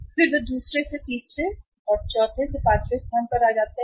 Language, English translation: Hindi, Then they move from the second to third to fourth to fifth